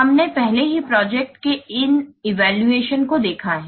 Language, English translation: Hindi, We have already seen about this evaluation of projects